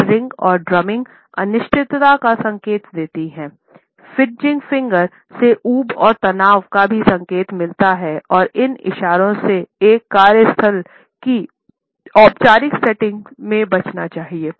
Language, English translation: Hindi, Fidgeting fingers also indicate boredom and tension and these gestures should be avoided particularly in a workplace in a formal setting